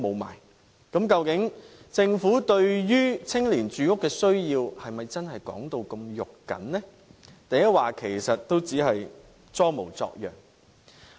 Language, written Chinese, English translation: Cantonese, 那麼，究竟政府對於青年的住屋需要，是否真如其所說般"肉緊"，抑或只是在裝模作樣呢？, So does the Government really care about young peoples housing needs as it has claimed? . Or is it only pretending to be so?